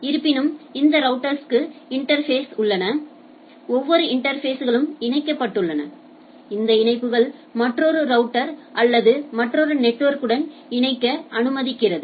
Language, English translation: Tamil, But nevertheless that router has interfaces, every interfaces connects connect allows it to connect to another router or another network in the things right